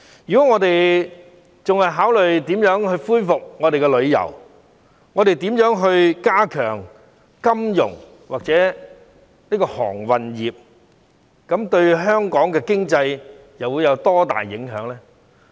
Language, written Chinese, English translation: Cantonese, 如果我們還是考慮如何恢復旅遊業，如何加強金融或航運業，這樣對香港的經濟又會有多大幫助？, If we are still considering how to revive the tourism industry and how to enhance the financial industry or the maritime industry how helpful will this be to the Hong Kong economy?